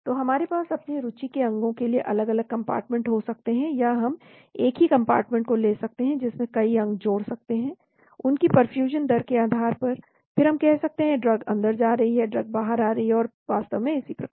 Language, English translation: Hindi, So we can have different compartments for organs of interest or we can have one compartment coupling many organs based on that perfusion rates, then we will say drug is going in, drug is coming out and so on actually